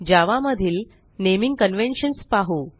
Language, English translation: Marathi, We now see what are the naming conventions in java